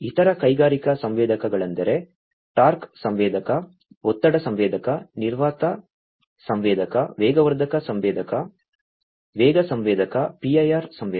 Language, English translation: Kannada, Other industrial sensors are like torque sensor, pressure sensor, vacuum sensor, acceleration sensor, speed sensor, PIR sensor